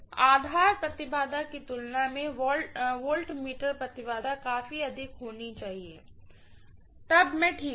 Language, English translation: Hindi, Compare to the base impedance, the voltmeter impedance has to be quite higher, then I am fine